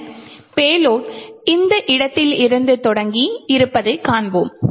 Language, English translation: Tamil, Then we would see that the payload is actually present starting from this location